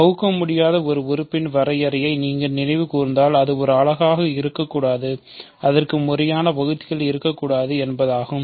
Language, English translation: Tamil, So, if you recall the definition of an irreducible element, it should not be a unit and it should not have proper divisors